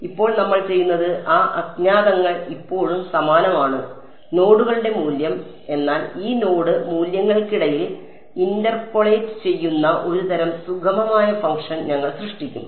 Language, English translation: Malayalam, Now what we will do is, those unknowns are still the same, the value of the nodes, but we will create a kind of a smooth function that take that interpolates between these node values